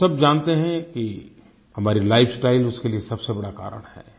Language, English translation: Hindi, We all know that our lifestyle is the biggest cause for Diabetes